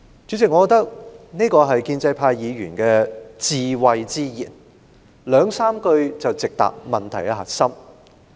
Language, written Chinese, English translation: Cantonese, 主席，我認為這真是建制派議員智慧之言，兩三句話便直指問題核心。, President to me this remark is without doubt a word of wisdom from a pro - establishment Member that hits the crux of the problem succinctly